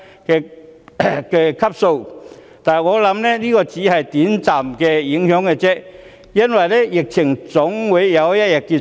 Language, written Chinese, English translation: Cantonese, 我相信，這只是短暫的影響，因為疫情總有一天會結束。, I believe this is only a short - term impact because the epidemic will be over someday